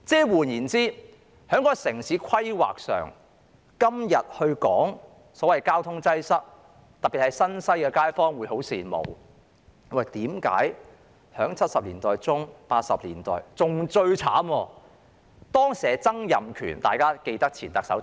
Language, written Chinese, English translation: Cantonese, 換言之，在城市規劃上，今日說到所謂交通擠塞，其實當年特別是新界西的街坊十分羨慕，為何1970年代中至1980年代......, As such when we examine traffic congestion from the perspective of urban planning these days residents of the New Territories West are particularly envious of what was undertaken from the mid - 1970s to 1980s . What saddens us most is that the person - in - charge was Donald TSANG in those years